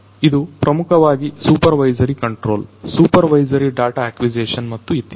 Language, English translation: Kannada, So, it is basically for supervisory control, supervisory data acquisition and so on